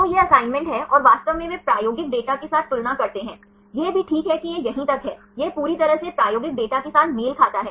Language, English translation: Hindi, So, this is the assignment and actually they compare with the experimental data it also ok it is up to here right, it is completely matched with the experimental data